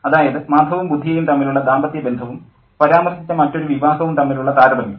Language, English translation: Malayalam, The conjugal relationship between Madhav and Budya and the other wedding that is referred to